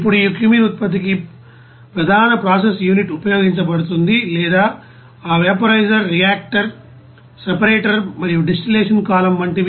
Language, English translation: Telugu, Now the main process unit for this cumene production which are used or like you know that vaporizer, reactor, separator and distillation column